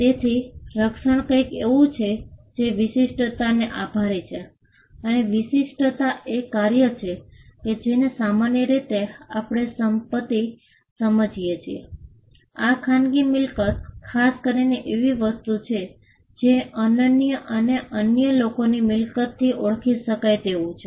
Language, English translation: Gujarati, So, protection came to be something that was attributed to the uniqueness and uniqueness is a function that, we understand that property normally has; this private property especially, is something that is unique and identifiable from property that belongs to others